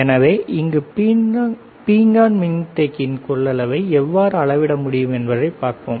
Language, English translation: Tamil, So, let us see how we can measure the capacitance of this ceramic capacitor